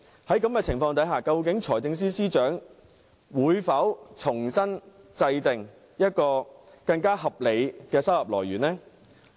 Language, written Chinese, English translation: Cantonese, 在這種情況下，究竟財政司司長會否重新制訂更合理的收入來源？, Under these circumstances will the Financial Secretary formulate anew a more reasonable source of income?